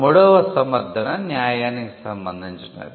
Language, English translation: Telugu, The third justification is one of fairness